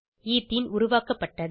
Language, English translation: Tamil, Ethene is formed